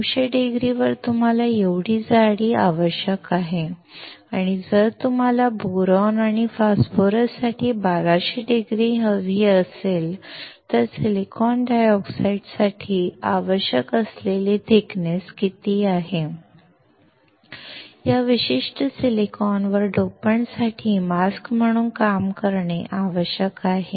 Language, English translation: Marathi, At 900 degree, you need this much thickness and if you want to have 1200 degree for boron and phosphorus, what is the thickness that is required for the silicon dioxide, on this particular silicon to act as a mask for the dopant